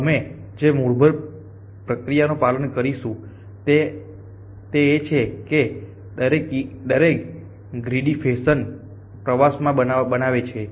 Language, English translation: Gujarati, The basic process that we will follow is at each ant constructs a tour in a greedy fashion